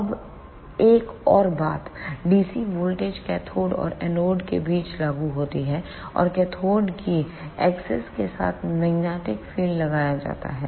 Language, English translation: Hindi, Now, one more thing the dc voltage is applied between cathode and anode; and magnetic field is applied along the axis of the cathode